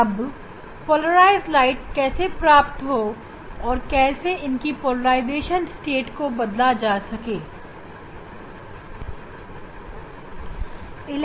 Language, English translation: Hindi, So how to produce polarized light and how to manipulate the polarization state